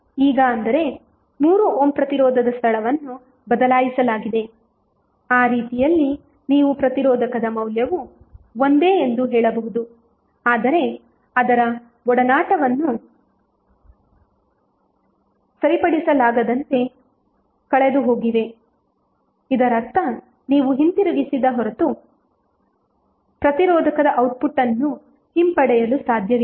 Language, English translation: Kannada, Means now, the location of 3 ohm resistance have been changed so, in that way you can say that resistor value is same but, its association has been irretrievably lost, it means that you cannot retrieve the output of the resistor until unless you reverted back to the original form